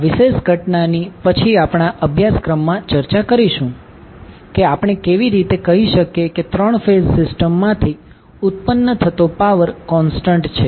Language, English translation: Gujarati, So, this particular phenomena will discuss in later our course that how we can say that the power which is generated from the 3 phase system is constant